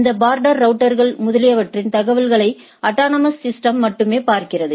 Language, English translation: Tamil, Only the autonomous system looks at the informations by these border routers etcetera